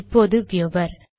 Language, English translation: Tamil, Then to viewer